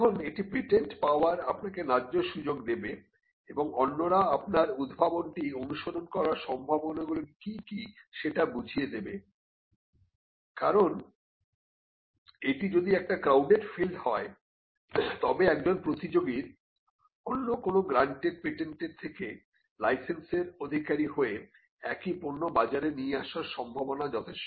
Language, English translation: Bengali, Now this will give a fair chance of getting a patent or what are the chances of others imitating your invention, because if it is a crowded field then it is quite possible that a competitor could license another invention from and from another granted patent, and still be in the market with the product